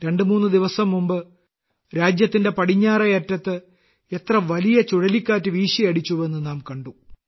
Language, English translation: Malayalam, Just twothree days ago, we saw how big a cyclone hit the western part of the country… Strong winds, heavy rain